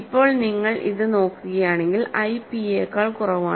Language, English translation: Malayalam, So, in the now if you look at this i is strictly less than p